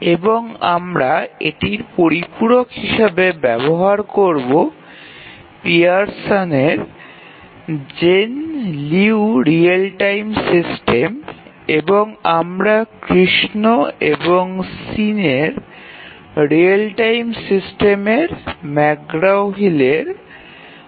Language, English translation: Bengali, And we will supplement this with Jane Liu Real Time systems, again Pearson and then we will also refer to Krishna and Shin Real Time systems McGraw Hill